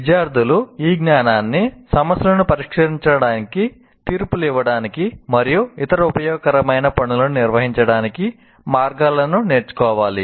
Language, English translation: Telugu, And also the students must learn ways to use this knowledge to solve problems, make judgments, and carry out other useful tasks